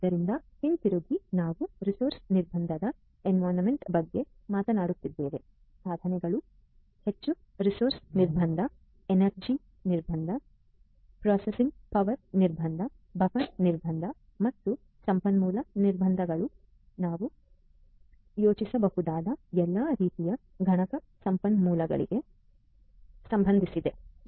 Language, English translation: Kannada, So, going back, as I told you that we are talking about a resource constraint environment, devices are highly resource constant, energy constant, processing power constraint, buffer constraint and resource constraint with respect to all kinds of computational resources that we can think of